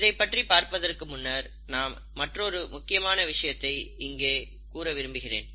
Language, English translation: Tamil, Before I go again further, I want to again highlight another important point